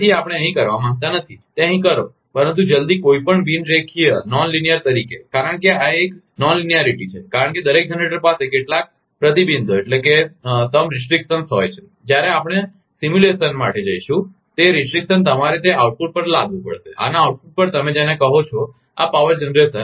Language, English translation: Gujarati, So, we do not want to do, do that here, but as soon as any non linear, because this is a non linearity because every generator has some restrictions when we will go for simulation, those restriction you have to impose at that output, at the output of this you are what you call this power generation